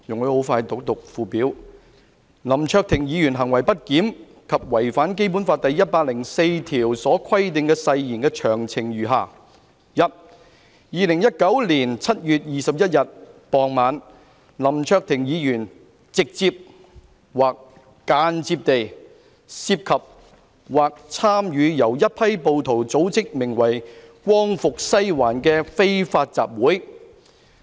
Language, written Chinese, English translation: Cantonese, "林卓廷議員行為不檢及違反《基本法》第一百零四條所規定的誓言的詳情如下： 1. 2019年7月21日傍晚，林卓廷議員直接或間接地涉及或參與由一批暴徒組織的名為'光復西環'的非法集會。, Details of Hon LAM Cheuk - tings misbehaviour and breach of oath under Article 104 of the Basic Law are particularized as follows 1 . In the evening of 21 July 2019 Hon LAM Cheuk - ting directly or indirectly involved or participated in an unlawful assembly known as Liberate Sai Wan organized by mob